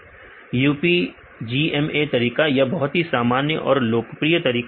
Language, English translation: Hindi, UPGMA method this is the very popular common method